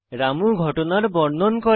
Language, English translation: Bengali, Ramu narrates the incident